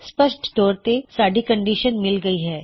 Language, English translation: Punjabi, Obviously, our condition has been met